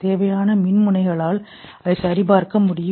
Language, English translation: Tamil, You require electrodes here to check that